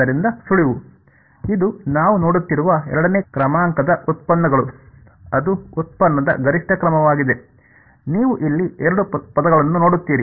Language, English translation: Kannada, So, the hint is this that the we had looking at there are second order derivatives that is the maximum order of derivative, you see a two term over here